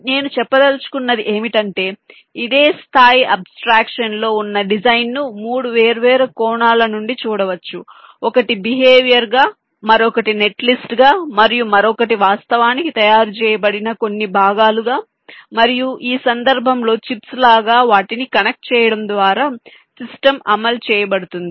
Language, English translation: Telugu, so what i mean to say is that the design, at this same level of abstraction, can be viewed from three different angles: one as the behavior, other as a net list and the other as some components which are actually manufactured and the system is, ah miss, implemented by inter connecting them like chips, in this case